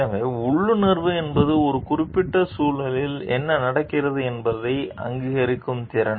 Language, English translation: Tamil, So, intuition is an ability to recognize what is going on in a particular situation